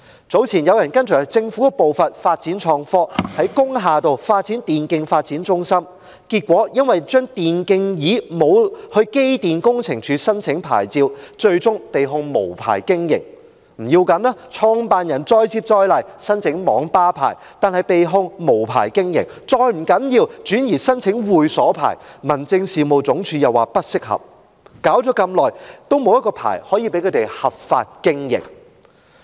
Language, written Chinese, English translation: Cantonese, 早前有人跟隨政府的步伐發展創科，於工業大廈開設電競發展中心，結果因為未有向機電工程署申請電競椅的牌照，被控無牌經營；不要緊，創辦人再接再厲，申請網吧牌照，但仍被控無牌經營；再不要緊，他轉移申請會所牌照，民政事務總署又說不適合，折騰一番後，仍然沒有一個牌照讓他們合法經營。, Earlier on a person followed the footsteps of the Government to develop IT by setting up an e - sports development centre in an industrial building but as he had not applied to the Electrical and Mechanical Services Department for a licence for the gaming chairs he was prosecuted for operation without a licence . That is fine . The operator then applied for a licence for Internet café but was again prosecuted for operation without a licence